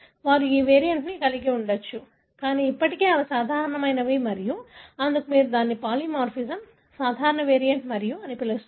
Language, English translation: Telugu, They may have this variant, but still they are normal and that is why you call it as polymorphism, normal variant and so on